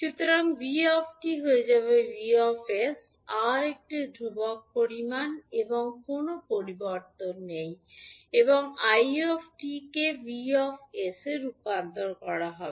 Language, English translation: Bengali, So, vt will become vs, r is a constant quantity there is no change in the r and i t will be converted into i s